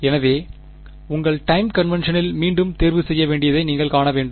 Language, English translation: Tamil, So, you have to see in your time convention which one to choose again